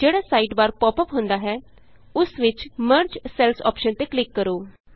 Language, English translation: Punjabi, In the sidebar which pops up, click on the Merge Cells option